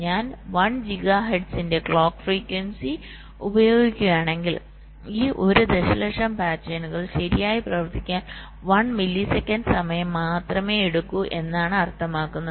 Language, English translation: Malayalam, right, and say: means, if i use a clock frequency of one gigahertz, then this one million pattern will take only one millisecond of time to have to operate right